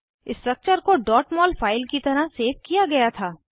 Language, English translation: Hindi, The structure was saved as a .mol file